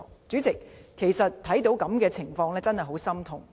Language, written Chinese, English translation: Cantonese, 主席，看到這樣的情況，我真的很心痛。, President this situation has really caused me a great deal of heartache